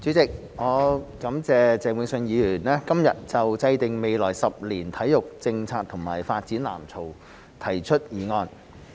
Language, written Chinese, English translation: Cantonese, 主席，我感謝鄭泳舜議員今日就"制訂未來十年體育政策及發展藍圖"提出議案。, President I thank Mr Vincent CHENG for proposing the motion on Formulating sports policy and development blueprint over the coming decade today